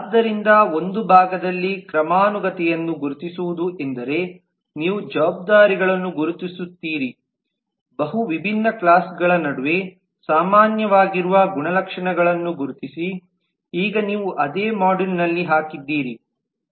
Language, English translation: Kannada, so in one part the identification of hierarchy means that you identify responsibilities, you identify attributes which are common between multiple different classes which possibly by now you have put in the same module